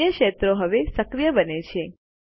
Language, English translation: Gujarati, The other fields now become active